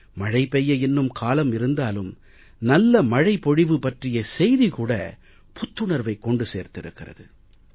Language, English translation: Tamil, There is still some time for the monsoon to arrive, but the news of good rains has already brought joy